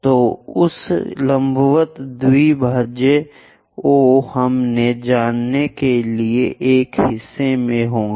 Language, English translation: Hindi, So, that perpendicular bisector O we will be in a portion to know